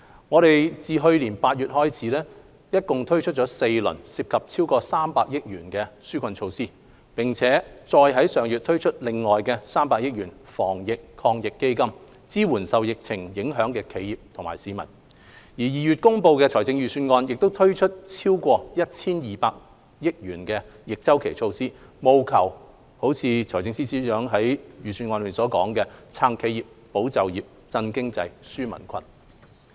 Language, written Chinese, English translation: Cantonese, 我們自去年8月開始共推出4輪涉及超過300億元的紓困措施，並再於上月另外推出300億元的防疫抗疫基金，支援受疫情影響的企業和市民 ；2 月公布的財政預算案亦推出超過 1,200 億元的逆周期措施，務求達致財政司司長在預算案中所說的"撐企業、保就業、振經濟、紓民困"。, We have since last August implemented four rounds of relief measures amounting to more than 30 billion and have further rolled out the Anti - epidemic Fund of 30 billion last month to support enterprises and the general public affected by the epidemic . As mentioned by the Financial Secretary in the Budget to support enterprises safeguard jobs stimulate the economy and relieve peoples burden the Budget announced in February also launched more than 120 billion of counter - cyclical measures